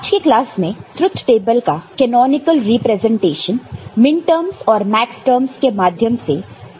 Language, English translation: Hindi, And in today’s class, we shall discuss the canonical representation of a truth table using minterms and also using maxterms